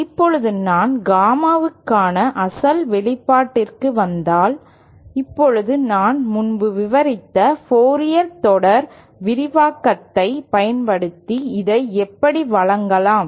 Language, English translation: Tamil, Now if I come back to the original expression for Gamma in, now this using the Fourier series expansion that I had described earlier can be given like this